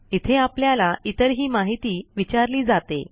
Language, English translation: Marathi, We will be asked for other details too